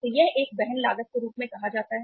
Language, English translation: Hindi, So that is called as a carrying cost